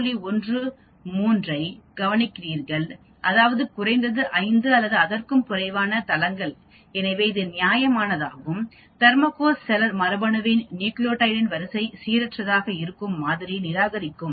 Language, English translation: Tamil, 13 that is, at least 5 or fewer sites therefore it is reasonable to reject the model that the nucleotide sequence of the Thermococcus celer genome is random with respect to the sequence